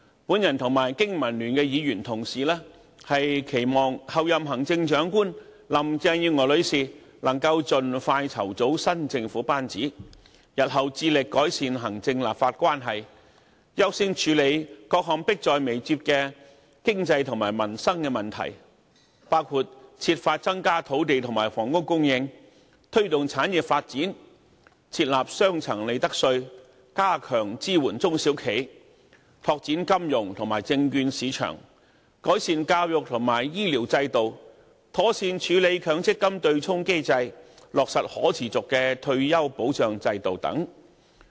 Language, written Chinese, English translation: Cantonese, 我和經民聯議員同事，期望候任行政長官林鄭月娥女士能夠盡快籌組新政府班子，日後致力改善行政立法關係，優先處理各項迫在眉睫的經濟和民生問題，包括設法增加土地和房屋供應，推動產業發展，設立雙層利得稅，加強支援中小企，拓展金融和證券市場，改善教育和醫療制度，妥善處理強制性公積金對沖機制，落實可持續的退休保障制度等。, My colleagues at BPA and I look forward to seeing the Chief Executive designate Mrs Carrie LAM line up the new governing team as soon as possible . We also long for their subsequent commitment to improving the relationship between the executive and the legislature and to priority handling of pressing problems about the economy and peoples livelihood including striving to increase the supply of land and housing promoting the development of industries adopting a two - tier profits tax regime strengthening support to small and medium enterprises promoting financial and security markets improving education and health care systems properly handling the Mandatory Provident Fund offsetting mechanism implementing a sustainable retirement protection system and so on